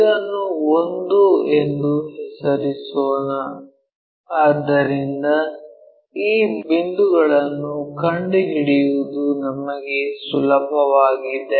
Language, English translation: Kannada, Let us name this one also 1 so that it is easy for us to locate these points